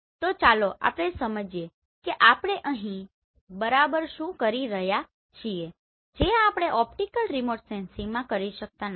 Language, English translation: Gujarati, So let us understand what exactly we can do here which we cannot do in optical remote sensing